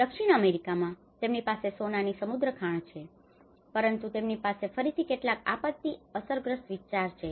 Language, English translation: Gujarati, In South America, they have rich gold mines, but they have again some disaster affected areas